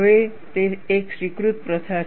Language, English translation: Gujarati, Now, it is an accepted practice